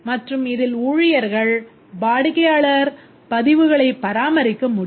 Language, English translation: Tamil, And the staff can maintain the customer records